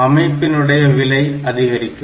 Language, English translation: Tamil, So, the cost of the system will go up